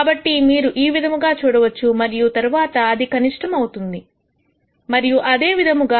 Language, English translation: Telugu, So, you could see something like this and then say this is the minimum and so on